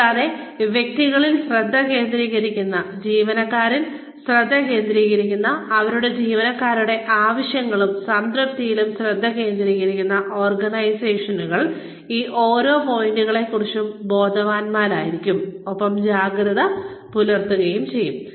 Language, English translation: Malayalam, And, organizations, that focus on individuals, that focus on employees, that focus on the needs and satisfaction of their employees, will be aware of, and alert to each of these points